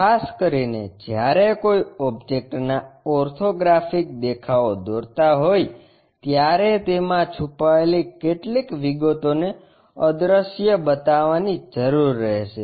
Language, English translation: Gujarati, Especially, when drawing the orthographic views of an object, it will be required to show some of the hidden details as invisible